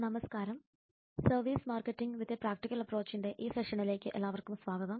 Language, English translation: Malayalam, hi there welcome to this session on services marketing with a practical approach